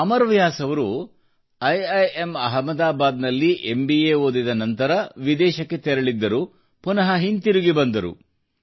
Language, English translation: Kannada, Amar Vyas after completing his MBA from IIM Ahmedabad went abroad and later returned